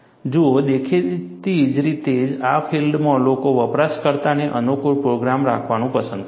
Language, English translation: Gujarati, See, obviously, in the field, people would like to have user friendly program